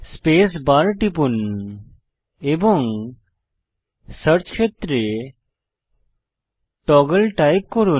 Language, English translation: Bengali, Press space bar and type Toggle in the search area